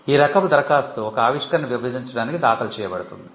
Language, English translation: Telugu, A divisional application is normally filed to divide an invention